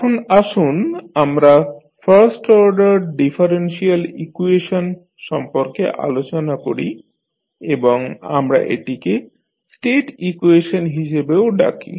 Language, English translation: Bengali, Now, let us talk about first order differential equation and we also call it as a state equation